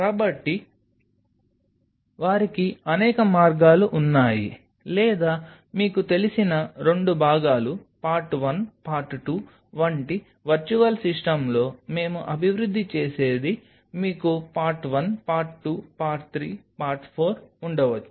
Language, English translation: Telugu, So, they have multiple ways or the one which we kind of in virtual system develop like you known two part, part 1 part 2 you may have part one, part two, part three, part four